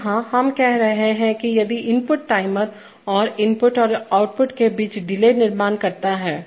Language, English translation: Hindi, So here, we are saying that if an input timer creates a delay between an input and an output